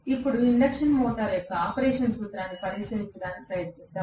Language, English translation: Telugu, Now, let us try to take a look at the principle of operation of induction motor